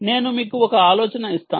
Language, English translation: Telugu, ok, i will give you an idea